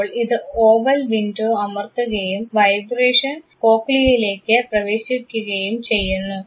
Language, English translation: Malayalam, This now presses the oval window and the vibration enter cochlea